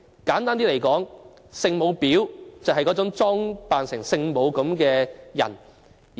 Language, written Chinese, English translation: Cantonese, 簡單的說，'聖母婊'就是那種裝成聖母的女婊子。, hypocrites . Simply put a Holy Mother bitch is a bitch pretending to be the Holy Mother